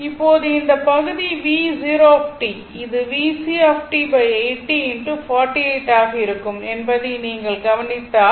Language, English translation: Tamil, Now, if you look into this that this part, your V 0 t, it is V C t by 80 into 48